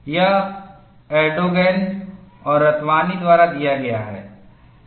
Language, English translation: Hindi, It is given like this, this is by Erdogan and Ratwani